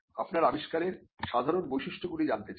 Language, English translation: Bengali, The general features that are common to your invention